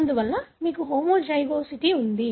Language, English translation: Telugu, Therefore you have homozygosity